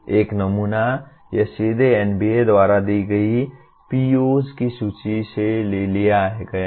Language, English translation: Hindi, One sample, this is directly taken from the list of POs as given by NBA